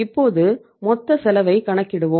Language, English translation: Tamil, Now let us calculate the total cost, cost, total cost